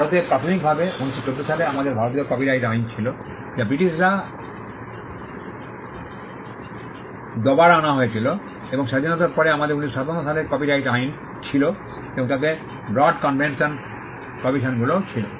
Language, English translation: Bengali, In India initially we had the Indian copyrights act in 1914 which was brought in by the Britishers and post independence we had the copyright Act of 1957